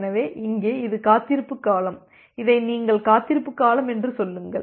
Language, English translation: Tamil, So, here this is the wait duration and then you initiate with say this is the wait duration